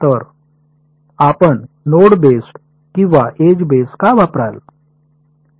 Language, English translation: Marathi, So, why would you use node based or edge based right